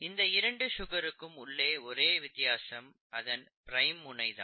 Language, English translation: Tamil, The only difference between these two sugars is the two prime position